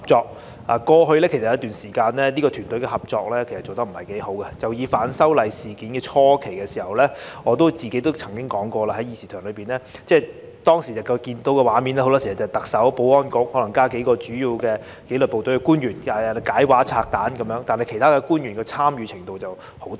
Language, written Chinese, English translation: Cantonese, 在過去一段時間裏，這個團隊的合作其實不太好，以反修例事件初期來說，我在這議事廳裏曾經說過，當時看到的畫面很多時是特首、保安局，加上數名主要負責紀律部隊的官員來解畫和拆彈，但其他官員的參與程度十分低。, During the past period of time its teamwork has been less than satisfactory indeed . At the early stage of the opposition to the proposed legislative amendments I did mention in this Chamber that the scene which we often saw was the explanation and elucidation given by the Chief Executive the Security Bureau and a few officials mainly representing the disciplinary forces with very limited involvement of other officials